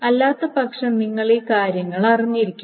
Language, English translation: Malayalam, Otherwise, you have to just know this thing